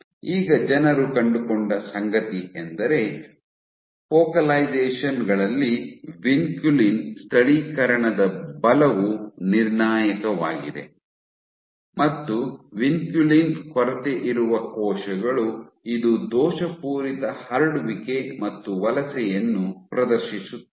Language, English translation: Kannada, Now what people have found that force is an important determiner of vinculin localization at focalizations, and vinculin deficient cells, they display faulty spreading and migration